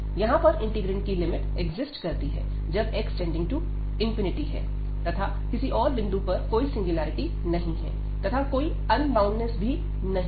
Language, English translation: Hindi, So, the limit here of the integrant exist, when x approaches to 0 and at all other point there is no singularity is there is no unboundedness